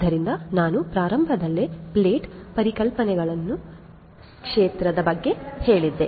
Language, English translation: Kannada, So, I told you about the field to plate concept at the outset I explained it